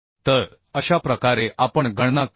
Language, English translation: Marathi, So this is how we calculate